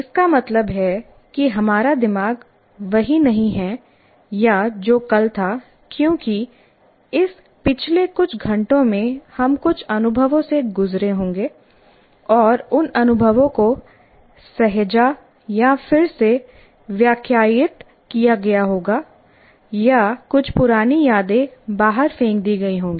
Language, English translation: Hindi, That means, our brain is not the same of what it was yesterday because from in this past few hours we would have gone through some experiences and those experiences would have been stored or reinterpreted thrown out or some old memories might have been thrown out